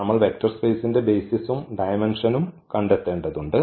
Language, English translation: Malayalam, So, we have to we are going to find the basis and the dimension of the vector space